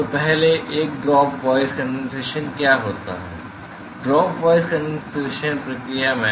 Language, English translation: Hindi, So, the first one drop wise condensation what happens is that; in the drop wise condensation process